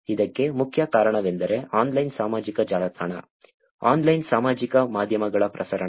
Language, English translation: Kannada, The main reason for this is the proliferation of online social network, online social media